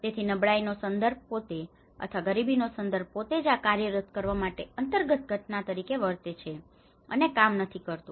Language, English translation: Gujarati, So vulnerability context itself or the poverty context itself acts as an underlying phenomenon on to making these access work and do not work